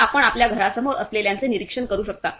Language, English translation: Marathi, So, you can monitor whoever in front of your house